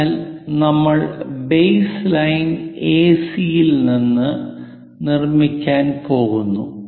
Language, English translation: Malayalam, So, we are going to construct from the base line AC